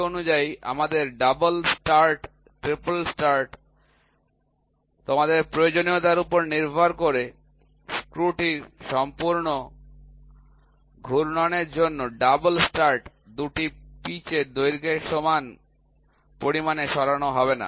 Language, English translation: Bengali, Accordingly you can have double start, triple start, depending upon your requirement, a double start will move by an amount equal to 2 pitch length for one complete rotation of the screw